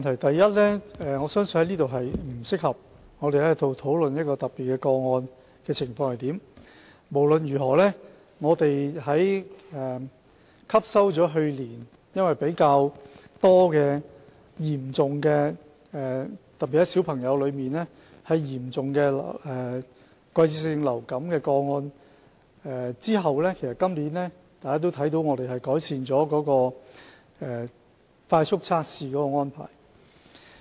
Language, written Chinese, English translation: Cantonese, 第一，我相信在此並不適合討論一些特別個案的情況，但不論如何，汲取了去年較多嚴重個案的經驗，特別是兒童嚴重季節性流感的個案後，大家看到我們今年已經改善了快速測試的安排。, First I think it is inappropriate to discuss certain specific cases here . No matter how having learnt from the experience of a larger number of serious cases last year particularly serious seasonal influenza cases involving children Members should have noticed that improvements have been made to the arrangement for rapid tests this year